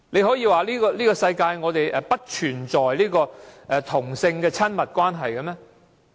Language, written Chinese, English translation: Cantonese, 可以說世界不存在同性的親密關係嗎？, Can they said intimate same - sex intimate relationships do not exist in this world?